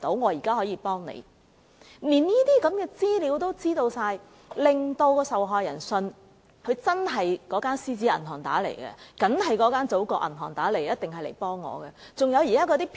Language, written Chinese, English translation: Cantonese, 由於他們連這些資料也知道，受害人便相信對方真的是由"獅子銀行"或"祖國銀行"致電，一定是來幫助他們。, Since the caller knew such information the victim believed that the caller was from the Lion Bank or the Bank of the Motherland and was there to provide assistance